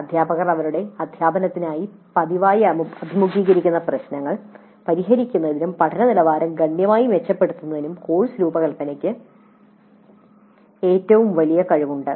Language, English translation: Malayalam, Course design has the greatest potential for solving the problems that faculty frequently faced in their teaching and improve the quality of learning significantly